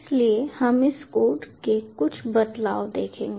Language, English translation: Hindi, so will see a few variations of this code